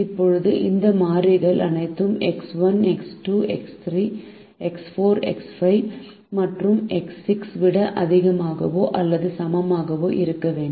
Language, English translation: Tamil, now all this variable x one, x two, x three, x four, x five and x six have to be greater than or equal to zero